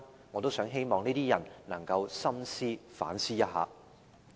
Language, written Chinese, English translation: Cantonese, 我希望這些人能夠深思和反思一下。, I hope those people can ponder and reflect on this question